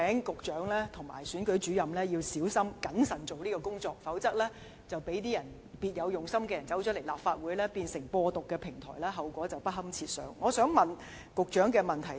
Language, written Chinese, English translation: Cantonese, 局長及選舉主任必須小心謹慎推行相關工作，以防別有用心的人士進入立法會，將本會變成"播獨"平台，否則後果將會不堪設想。, The Secretary and Returning Officers must cautiously carry out the relevant work in order to prevent anyone with ulterior motives from entering the Legislative Council and turning the Council into a platform for propagating Hong Kong Independence . Otherwise the consequences will be unthinkable